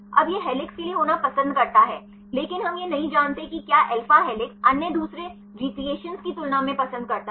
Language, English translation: Hindi, Now, it prefers to be for helix, but we do not know whether the prefers alpha helix compared with others second restructures